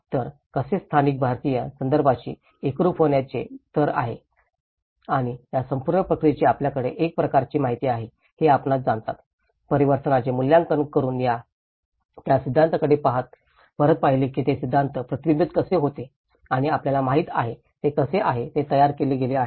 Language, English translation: Marathi, So, how, what level of integration with the local Indian context and that is how this whole process is looked at you know, assessing the transformation and looking back into the theories reflecting how it is reflected with the theory and you know, that is how it has been formulated